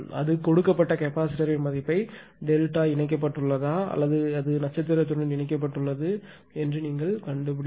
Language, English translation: Tamil, Now, if the capacitors that it is given you find out the value of capacitance c if the capacitor either it is delta connected or it is star connected right